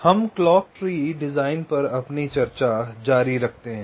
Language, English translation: Hindi, so we continue with our discussion on clock tree design